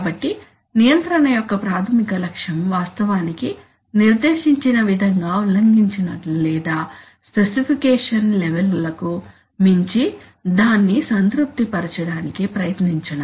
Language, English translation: Telugu, So the basic objective of control is actually to meet the specifications as stated neither violated nor try to satisfy it beyond the levels of specification